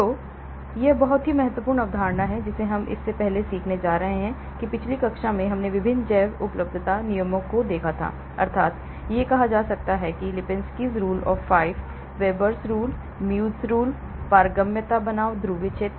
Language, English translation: Hindi, So, that is a very important concept which we are going to learn before that in the previous class we looked at various bioavailability rules namely Lipinski's rule of 5 it is called, Veber rule, Muegge rule, permeability verses polar surface area